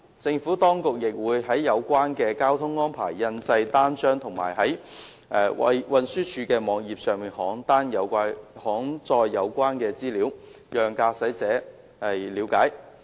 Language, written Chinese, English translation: Cantonese, 政府當局亦會就有關的交通安排印製單張，以及在運輸署網頁登載有關資料，讓駕駛者了解。, The Administration will also publish pamphlets and post relevant information on the website of the Transport Department to apprise motorists of the traffic arrangements in question